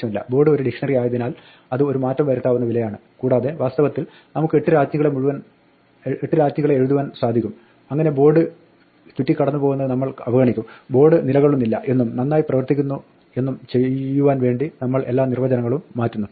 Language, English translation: Malayalam, Since board is a dictionary, it is a mutable value and in fact we can write 8 queens in such a way that we just ignore passing the board around, we change all the definitions so that board does not occur and works fine